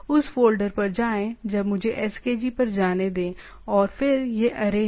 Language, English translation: Hindi, Go to that folder now let me go to skg and then this is the array